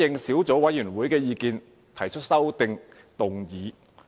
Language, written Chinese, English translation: Cantonese, 小組委員會舉行了兩次會議。, The Subcommittee has held two meetings